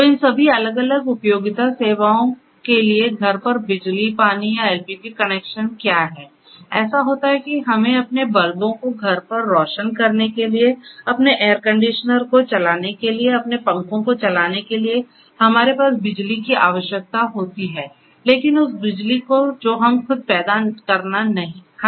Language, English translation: Hindi, So, for all these different utility services electricity, water or LPG connections at home what happens is that we need you know we have the necessity to light our bulbs at home, to run our air conditioners, to run our fans and so on